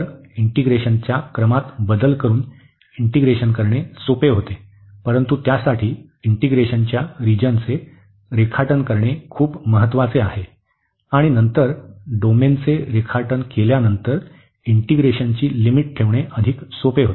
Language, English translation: Marathi, So, by changing the order of integration it becomes easier to integrate, but for that the sketching of the region of integration is very important and then putting the limit of the integration after sketching the domain it becomes much easier